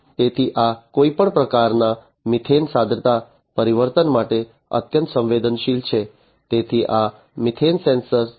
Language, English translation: Gujarati, So, this is; that means, that it is highly sensitive to any kind of methane concentration change, so the is this methane sensor